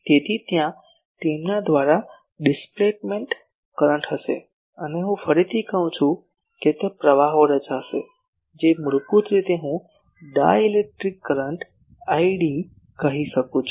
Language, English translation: Gujarati, So, there will be the displacement current through them and I can say again that there will be currents which are basically I can say the dielectric current i d